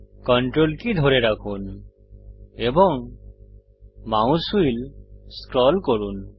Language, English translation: Bengali, Hold CTRL and scroll the mouse wheel